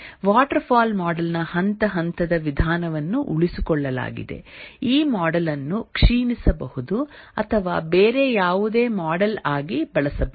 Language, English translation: Kannada, The step wise approach of the waterfall model is retained and therefore this model can be degenerated or can be used as any other model